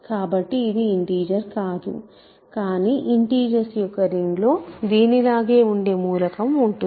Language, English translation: Telugu, So, it is not an integer, but it has a representative in the ring of integers